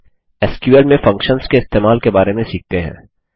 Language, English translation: Hindi, Next, let us learn about using Functions in SQL